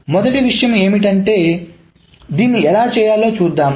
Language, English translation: Telugu, So first thing is that let us see how to do it